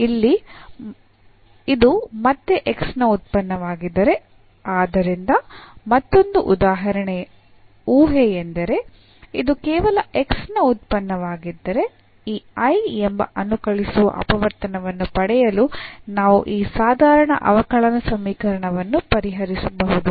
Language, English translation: Kannada, So, if this one here is a function of x again; so, another assumption, that if this is a function of x alone then the we can solve perhaps this ordinary differential equation to get this I the integrating factor